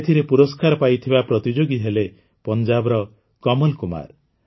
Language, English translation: Odia, In this, the winning entry proved to be that of Kamal Kumar from Punjab